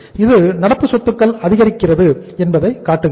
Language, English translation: Tamil, So it means current assets are being decreased